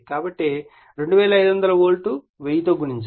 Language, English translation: Telugu, So, 2500 volt multiplied / 1000